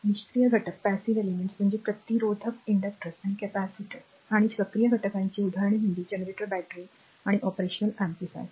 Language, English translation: Marathi, So, passive elements are resistors inductors or capacitors and active elements example are generators, batteries and your operational amplifiers